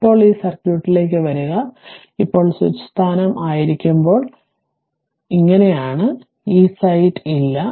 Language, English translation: Malayalam, Now, come to this circuit, now when when switch position is ah your, what you call switch position is like this, this site is not there